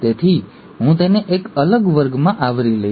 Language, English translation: Gujarati, So I’ll cover that in a separate class